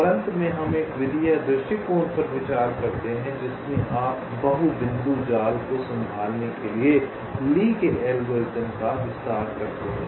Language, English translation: Hindi, lastly, we consider ah method run approach, in which you can extend lees algorithm to handle multi point nets